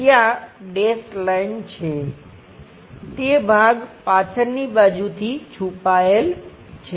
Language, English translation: Gujarati, There is a dash line at that, that portion hidden from the back side